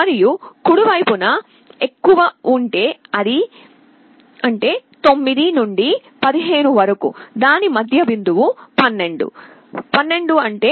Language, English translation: Telugu, And on the right hand side if it is greater; that means, 9 to 15, middle point of it is 12, 12 is 1 1 0 0